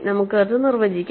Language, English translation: Malayalam, So, let us formally define that